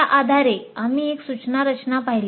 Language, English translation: Marathi, Based on that, we looked at one instruction design